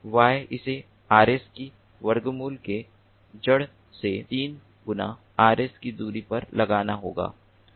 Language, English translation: Hindi, this is square root of three times rs and this is square root of three times rs